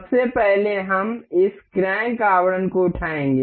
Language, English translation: Hindi, First of all, we will pick this crank casing